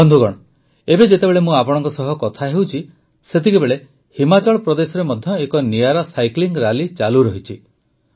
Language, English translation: Odia, Friends, at this time when I am talking to you, a unique cycling rally is also going on in Himachal Pradesh